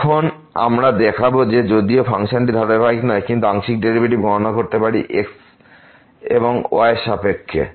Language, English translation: Bengali, Now, we will show that though the function is not continuous, but we can compute the partial derivatives with respect to and with respect to